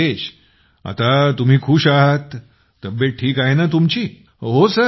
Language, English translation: Marathi, So Rajesh ji, you are satisfied now, your health is fine